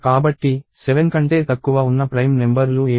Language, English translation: Telugu, So, what are the prime numbers that are less than 7